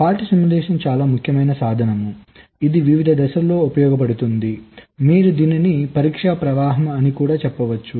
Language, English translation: Telugu, fault simulation is an very important tool which is used in various stages during the you can say test flow